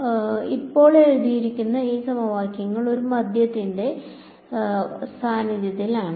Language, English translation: Malayalam, So, these equations that are written now are in the presence of a medium